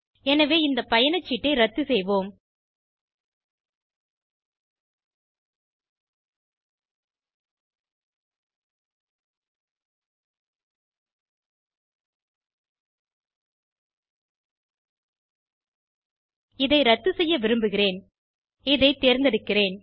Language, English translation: Tamil, So lets cancel this ticket okay, So I wants to cancel this, let me select this